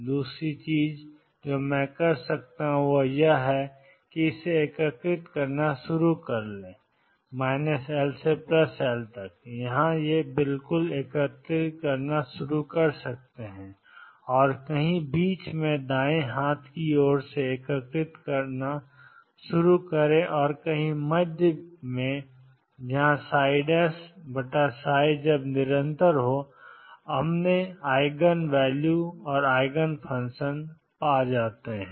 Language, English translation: Hindi, The other thing I can do is start integrating this is minus L plus L start integrating from here and somewhere in the middle start integrating from the right hand side and somewhere in the middle match psi prime over psi when psi prime over psi is continuous we have found the eigenvalue and the eigenfunction